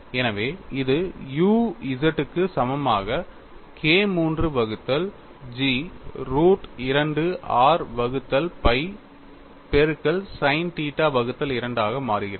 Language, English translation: Tamil, So, this turns out to be u z equal to K 3 by G root of 2r by pi into sin theta by 2